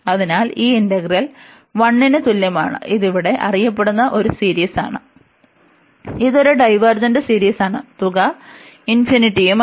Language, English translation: Malayalam, So, this integral is equal to this 1, and this is a well known series here, which is the divergent series, so that means, the sum is infinity here